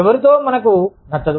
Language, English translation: Telugu, With who, we do not like